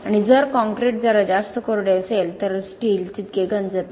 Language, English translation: Marathi, And if the concrete is a bit drier, steel is not corroding that much